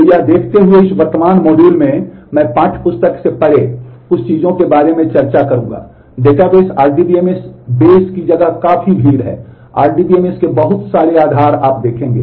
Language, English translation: Hindi, So, given that given that in this current module, I would discuss about few things beyond the textbook actually, the space of databases RDBMS bases are quite crowded, the lot of RDBMS bases you will see